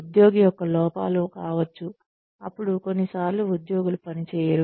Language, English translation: Telugu, Could be shortcomings of the employee, if the employee, sometimes employees do not perform